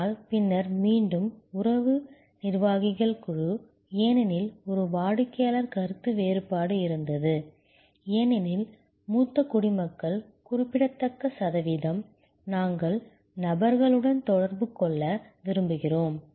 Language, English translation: Tamil, But, then board back relationship executives, because there was a customer dissonance, because a significant percentage of senior citizens, we like to interact with persons